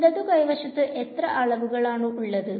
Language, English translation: Malayalam, How many dimensions is the left hand side being